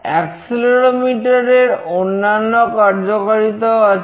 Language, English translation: Bengali, There are other applications of accelerometer as well